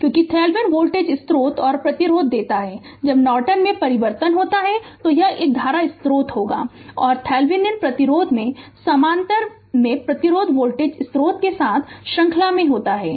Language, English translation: Hindi, Because Thevenin gives on voltage source and resistance, when you transform into Norton it will be a current source and resistance in the parallel in Thevenin resistance is in series with the voltage source right